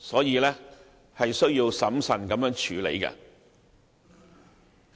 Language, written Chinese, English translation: Cantonese, 因此，政府必須審慎處理。, Hence the Government must handle the issue prudently